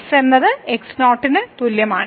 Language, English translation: Malayalam, So, this will go to 0